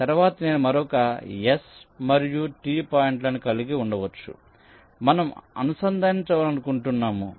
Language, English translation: Telugu, later on i may be having another set of s and t points which we may want to interconnect